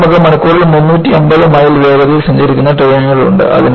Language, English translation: Malayalam, And now, you have trains traveling at the speed of 350 miles per hour